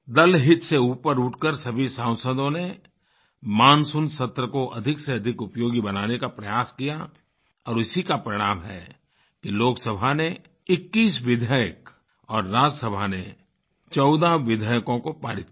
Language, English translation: Hindi, All the members rose above party interests to make the Monsoon session most productive and this is why Lok Sabha passed 21 bills and in Rajya Sabha fourteen bills were passed